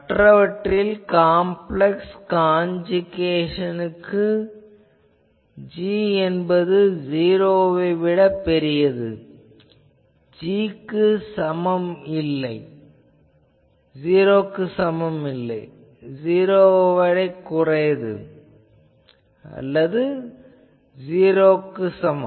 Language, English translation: Tamil, And others are for complex conjugation that g greater than 0; if g not equal to 0 g less than 0, if g is equal to 0